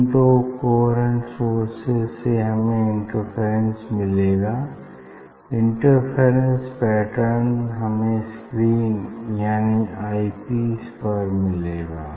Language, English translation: Hindi, Now, for this two coherent source, we will get the interference and that interference pattern we will see on the screen that is on the eye piece